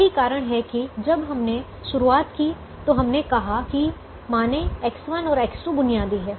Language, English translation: Hindi, that is the reason when we started we said: assume that x one and x two continue to be basic at some point